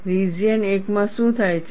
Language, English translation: Gujarati, What happens in region 1